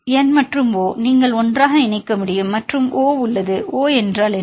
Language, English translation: Tamil, And N and O, you can combine together and there is O minus; what is O minus